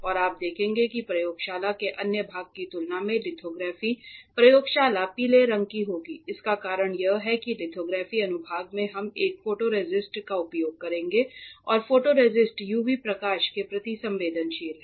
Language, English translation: Hindi, And you will see that lithography lab in particular will be of yellow colour compare to other part of the laboratory the reason is that because the in lithography section we will be using a photoresist and photoresist is sensitive to the UV light